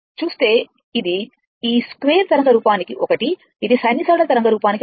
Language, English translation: Telugu, It will be 1 for sinusoidal waveform, it will be 1